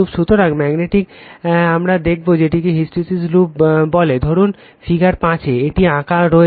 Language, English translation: Bengali, So, magnetic you will see this a your what you call hysteresis loop suppose, this is in figure 5, it has been drawn